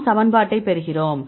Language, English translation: Tamil, So, we derive the equation